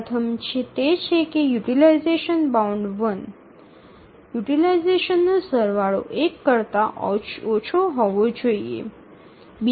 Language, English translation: Gujarati, The first is that utilization bound one, the sum of utilization should be less than one